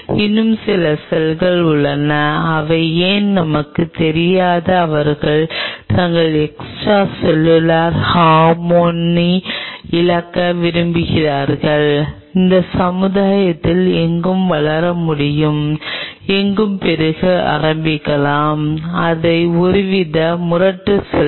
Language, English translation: Tamil, there are some cells who why they do, we do not know they prefer to lose their extracellular harmony and can grow anywhere, any community, and can start to proliferate anywhere